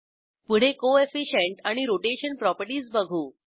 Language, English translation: Marathi, Next let us check the Coefficient and Rotation properties